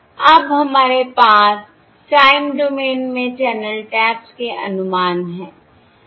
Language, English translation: Hindi, So now we have the estimates of the channel taps in the time domain